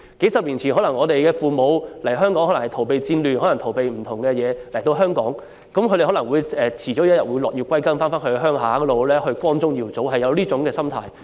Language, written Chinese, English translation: Cantonese, 數十年前，我們的父母可能是為了逃避戰亂或其他原因來到香港，他們可能總有一天會落葉歸根，有一種要重返故鄉，光宗耀祖的心態。, Our parents came to Hong Kong several decades ago perhaps to flee the turmoil of wars or for other reasons and they may harbour the thoughts of an eventual return to their places of origin and a glorious homecoming one day